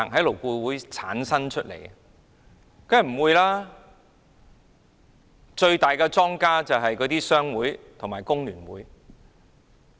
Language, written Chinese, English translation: Cantonese, 當然不會，最大的莊家就是商會和工聯會。, Certainly it has not . The dominating parties are the trade associations and FTU . FTU has deceived many workers